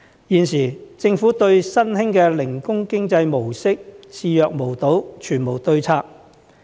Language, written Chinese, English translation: Cantonese, 現時，政府對新興的零工經濟模式視若無睹，全無對策。, At present the Government pays no attention to the emerging gig economy model nor does it put in place any policy to deal with it